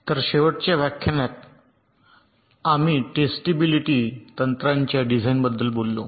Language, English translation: Marathi, so in the last lecture we talked about the design for distribute technique